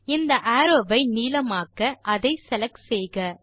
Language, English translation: Tamil, To make this arrow longer, first select it